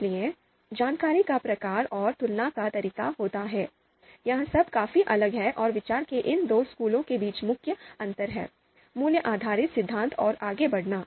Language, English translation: Hindi, So type of information and the way comparison takes place, so all that is quite different and is the main difference between these two schools of thought, value based theory and outranking